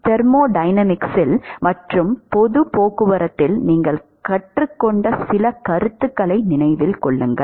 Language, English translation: Tamil, Remember some of the concepts you have learnt in thermodynamics and public transport also